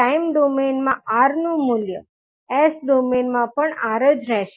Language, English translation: Gujarati, So a value of R in time domain will remain R in s domain also